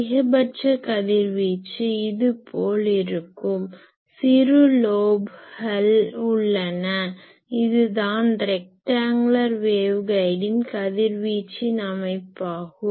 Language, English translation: Tamil, The maximum radiation takes place something like this and there are some small lobes, this is the radiation pattern of a rectangular waveguide